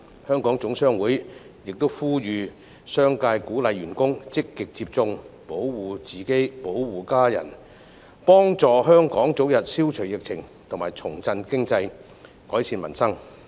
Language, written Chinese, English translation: Cantonese, 香港總商會也呼籲商界鼓勵員工積極接種，保護自己、保護家人，幫助香港早日消除疫情，重振經濟，改善民生。, HKGCC also calls on the business sector to encourage employees to actively receive vaccines to protect themselves and their families so as to enable Hong Kong to put an end to the epidemic situation revitalize the economy and improve peoples livelihood as early as possible